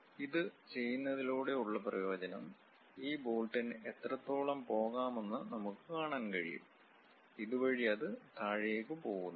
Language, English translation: Malayalam, By doing this the advantage is, we can clearly see up to which length this bolt can really go; here it goes all the way down